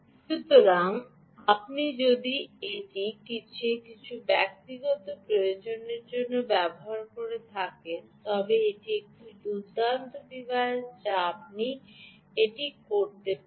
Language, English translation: Bengali, so if you are using it for some of your own personal requirement, hm, this is a nice device that you can